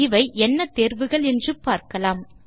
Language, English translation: Tamil, Let us have a look at these options